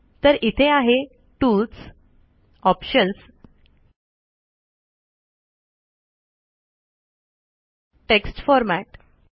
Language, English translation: Marathi, So it is here, tools, options, text format